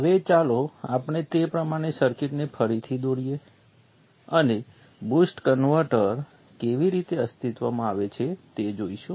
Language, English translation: Gujarati, Now let us redraw the circuit in that perspective and see how a boost converter comes into being